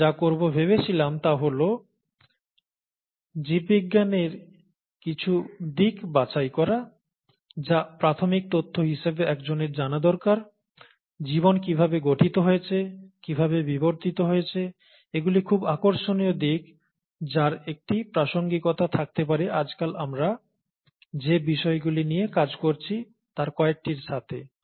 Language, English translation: Bengali, What we thought we would do, is pick up some aspects of biology, that, one would need to know as basic information, as to how life evolved, how life formed, how life evolved, they are very interesting aspects which could have a relevance to some of the things that we’re dealing with nowadays